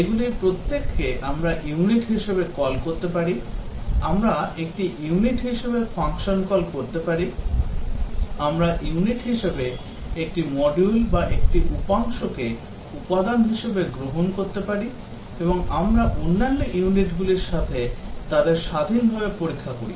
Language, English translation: Bengali, Each of these we can call as a unit, we can call a function as a unit, we can a module as a unit or a component as a unit and we test them independently of other units